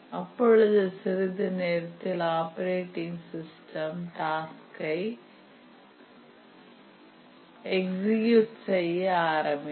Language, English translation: Tamil, And then the operating system starts to execute the task after some time